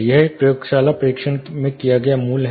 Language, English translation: Hindi, This is a laboratory tested value